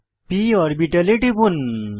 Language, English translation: Bengali, Click on the p orbital